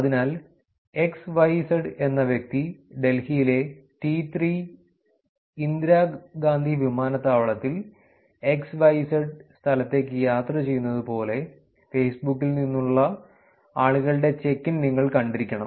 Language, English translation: Malayalam, So, essentially you must have seen check ins from people on Facebook like XYZ is on T3 Indira Gandhi Airport in Delhi traveling to XYZ place